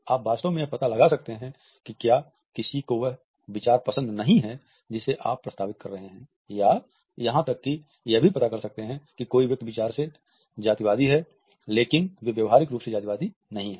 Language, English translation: Hindi, You can actually find out if someone does not like an idea that you are proposing or even go as far as to say, if someone is thoughtfully racist, but they are not behaviorally racist